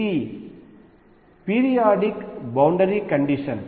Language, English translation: Telugu, This is the periodic boundary condition